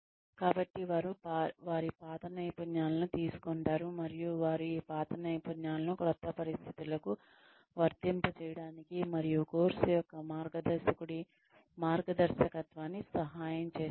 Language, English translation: Telugu, So, they take their old skills and they help them apply these old skills to new situations, and under of course the guidance of a mentor